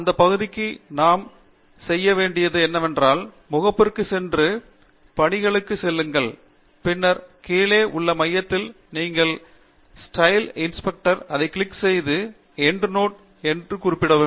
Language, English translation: Tamil, For that part, what we need do is go to Home, and go to Styles, and then, in the center of the bottom you have Style Inspector click on that and highlight the Endnote Reference